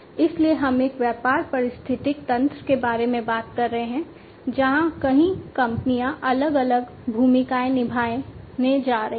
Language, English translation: Hindi, So, we are talking about a business ecosystem, where several companies are going to play different, different roles